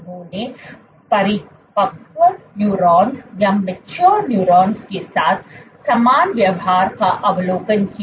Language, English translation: Hindi, They observed the identical behavior with neurons mature neurons